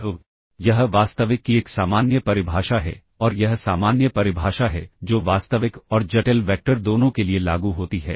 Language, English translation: Hindi, So, this is a general definition of real and this is general definition that is applicable both for real and complex vectors